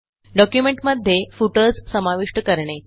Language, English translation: Marathi, How to insert footers in documents